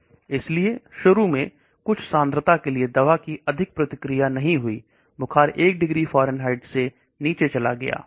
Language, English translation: Hindi, So initially for some concentration there won’t be much response of the drug, the fever goes down by 1 degree Fahrenheit